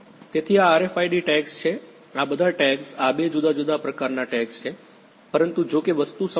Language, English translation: Gujarati, So, these are RFID tags all these tags these are two different types of tags, but although the thing is same